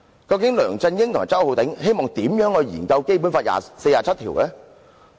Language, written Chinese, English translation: Cantonese, 究竟梁振英與周浩鼎議員希望專責委員會如何研究《基本法》第四十七條？, In what way would LEUNG Chun - ying and Mr Holden CHOW want the Select Committee to study Article 47 of the Basic Law?